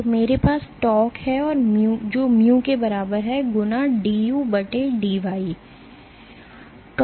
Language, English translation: Hindi, So, I have tau is equal to mu times du/dy